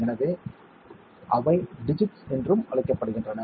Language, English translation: Tamil, So, they are called digits also